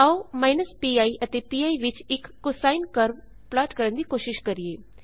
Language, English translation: Punjabi, Lets try and plot a cosine curve between minus pi and pi